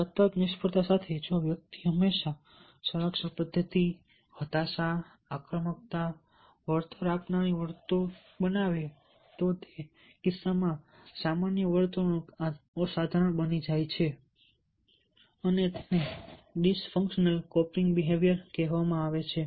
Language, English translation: Gujarati, if all the time individuals choose the defense mechanism frustration, aggression, compensatory behavior then in that case the normal behavior of the individuals, of abnormal, and this is called a dis functional coping behavior